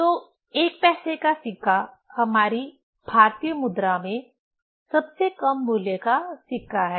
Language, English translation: Hindi, So, 1 paisa coin is the least value coin in our Indian currency